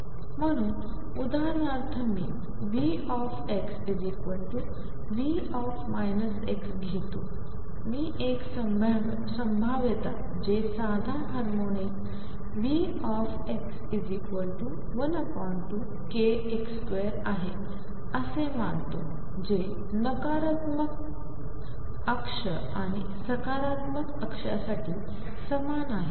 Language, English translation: Marathi, So, V x is V minus x for example, if I take a potential which is simple harmonic that is V x equals 1 half k x square its same for the negative axis and the positive axis